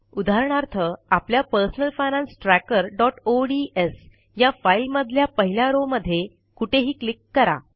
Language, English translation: Marathi, For example in our personal finance tracker.ods file lets click somewhere on the first row